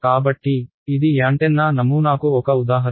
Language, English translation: Telugu, So, that is an example of an antenna pattern